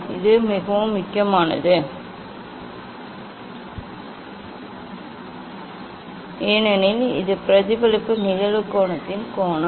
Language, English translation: Tamil, this is very important because this is the angle of incidence angle of reflection